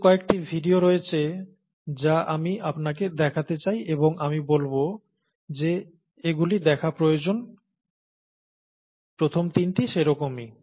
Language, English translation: Bengali, There are a couple of videos that I’d like you to see and I say that these are essential videos to see, so were the first three